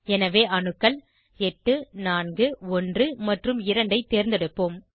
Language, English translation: Tamil, So, we will choose atoms 8, 4,1 and 2